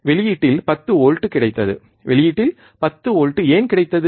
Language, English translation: Tamil, And we got 10 volts at the output, why we got 10 volts at the output